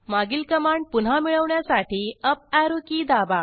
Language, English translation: Marathi, Now press the Up Arrow key to get the previous command